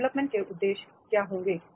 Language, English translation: Hindi, What will be the development purposes